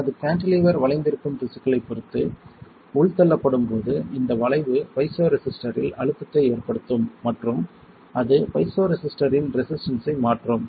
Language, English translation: Tamil, When it is indented depending on the tissue my cantilever will bend, this bending will cause strain in the piezoresistor and that will change the resistance of the piezoresistor